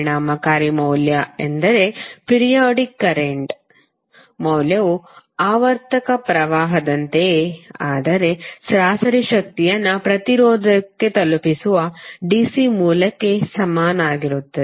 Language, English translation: Kannada, The effective value means the value for a periodic current that is equivalent to that the cigarette which delivers the same average power to the resistor as the periodic current does